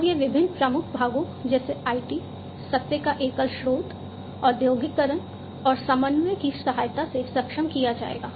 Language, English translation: Hindi, And this will be enabled with the help of different key parts such as IT, single source of truth, industrialization, and coordination